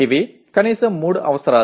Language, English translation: Telugu, These are the minimum three requirements